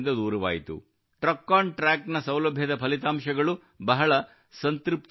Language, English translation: Kannada, The results of the TruckonTrack facility have been very satisfactory